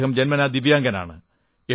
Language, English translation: Malayalam, He is a Divyang by birth